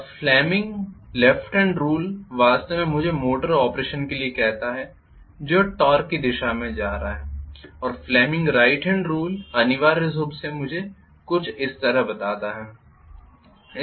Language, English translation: Hindi, Now fleming’s left hand rule actually tells me for the motor operation which is going to be the torque direction and fleming’s right hand rule essentially tells me something like this